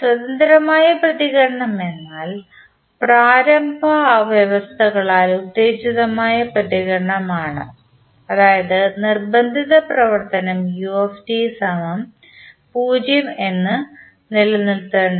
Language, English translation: Malayalam, Free response means the response that is excited by the initial conditions only keeping the forcing function that is ut equal to 0